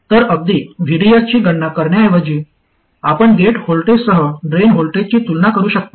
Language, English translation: Marathi, So instead of even computing VDS you can just compare the drain voltage with the gate voltage